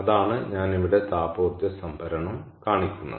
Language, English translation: Malayalam, so what is thermal energy storage